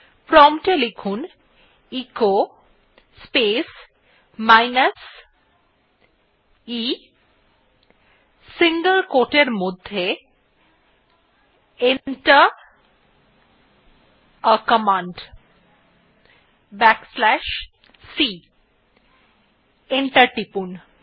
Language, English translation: Bengali, Type at the prompt echo space minus e within single quote Enter a command back slash c and press enter